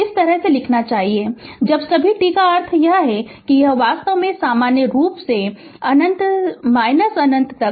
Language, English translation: Hindi, This way you should write when you say all t means it is actually in general it is actually minus infinity to plus infinity right